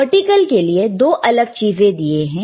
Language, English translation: Hindi, For the vertical, there are 2 different things